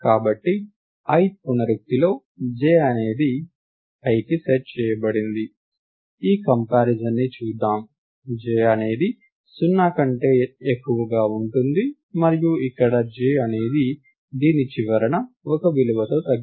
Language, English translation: Telugu, So, let us look at this comparison in the ith iteration j is set to i, then while j is more than 0 and here j is decremented end at the end of this